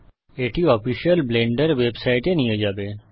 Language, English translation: Bengali, This should take you to the official blender website